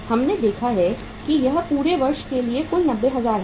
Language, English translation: Hindi, We have seen it is total is 90,000 for the whole of the year